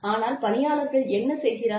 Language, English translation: Tamil, But, what do human beings do